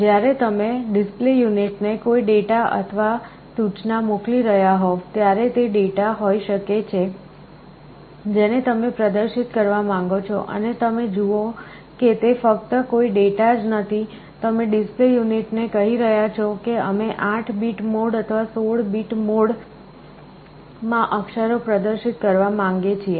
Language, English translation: Gujarati, When you are sending some data or instruction to the display unit, it can be either the data you want to display or you see it is not only a data sometimes, you are telling the display unit that look we want to display the characters in 8 bit mode or 16 bit mode